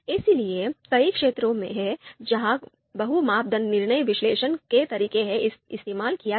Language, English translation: Hindi, So, there are number of fields where the multi criteria decision making decision analysis methods have been used